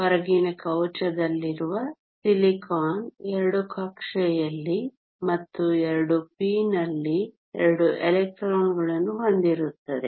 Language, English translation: Kannada, Silicon in the outer shell has two electrons in the s orbital and two in the p